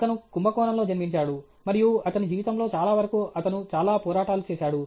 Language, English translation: Telugu, So, he was born in Kumbakonam and most of his life he went through lot of struggle